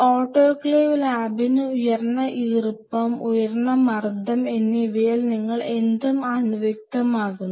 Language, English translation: Malayalam, So, autoclave is something like a pressure cooker, where at high moisture and high pressure you sterilize anything